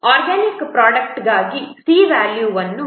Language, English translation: Kannada, For organic mode, the value of C is 2